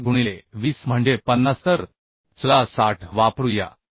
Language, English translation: Marathi, 5 into 20 equal to 50 so let us use 60